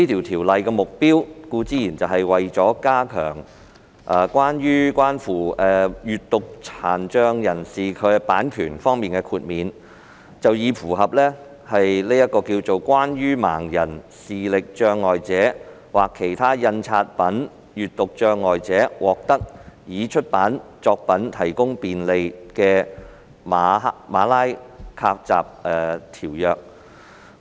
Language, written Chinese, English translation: Cantonese, 《條例草案》的目的是加強與閱讀殘障人士有關的版權豁免，以符合《關於為盲人、視力障礙者或其他印刷品閱讀障礙者獲得已出版作品提供便利的馬拉喀什條約》。, The purpose of the Bill is to enhance copyright exemptions relating to persons with a print disability in order to bring those exceptions into line with the Marrakech Treaty to Facilitate Access to Published Works for Persons Who Are Blind Visually Impaired or Otherwise Print Disabled